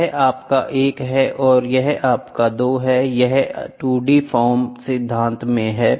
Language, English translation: Hindi, This is your 1 and this is your 2 this is in a 2 d form principles